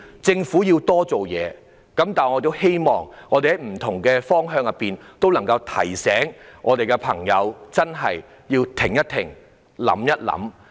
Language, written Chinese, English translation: Cantonese, 政府固然要多做事，但我希望大家也可以在不同方向提醒身邊的朋友要"停一停、想一想"。, While more should be done by the Government I hope that we can also remind people around us to stop and think twice